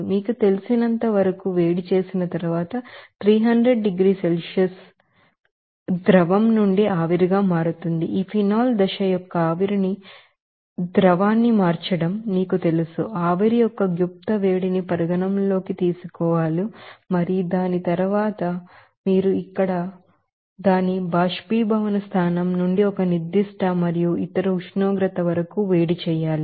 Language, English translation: Telugu, And then, it will be you know, heated up to you know, 300 degrees Celsius after converting it phase change from you know liquid to vapor to that changing of liquid to vapor of this phenol phase, you have to you know, consider that latent heat of vaporization and after that you have to heat it up to a certain and other temperature from its boiling point up to 300 degrees Celsius like here